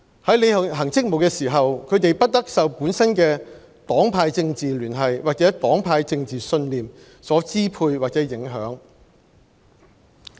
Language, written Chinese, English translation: Cantonese, 在履行職務時，他們不得受本身的政治聯繫或政治信念所支配或影響。, They shall not allow their own personal political affiliation or political beliefs to determine or influence the discharge of their official duties and responsibilities